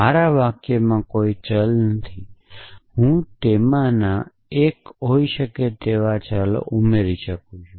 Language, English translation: Gujarati, They are no variables in my sentence, but I can add variables 1 of them could be